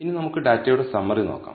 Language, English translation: Malayalam, Now, let us look at the summary of the data